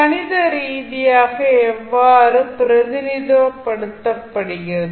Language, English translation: Tamil, Mathematically, how we represent